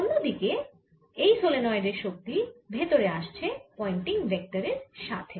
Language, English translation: Bengali, on the other hand, in the solenoid, energy is coming in, the pointing vector comes in